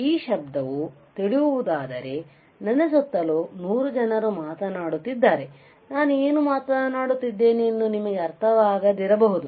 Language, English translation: Kannada, And when this is a noise right at let us say if there are 100 people around me all talking then you may not understand what I am talking